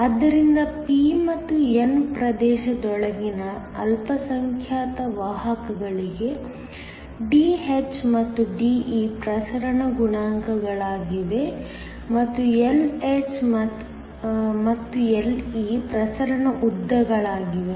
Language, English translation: Kannada, So, Dh and De are the diffusion coefficients for the minority carriers within the p and the n region and the Lh and Le are the diffusion lengths